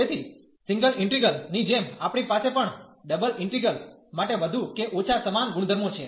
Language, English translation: Gujarati, So, similar to the single integral, we have more or less the same properties for the double integral as well